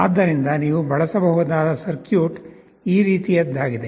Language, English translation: Kannada, So, the circuit that you can use is something like this